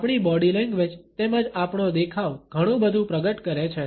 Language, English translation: Gujarati, Our body language as well as our appearance reveal a lot